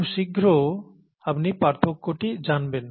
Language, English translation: Bengali, You will know the difference very soon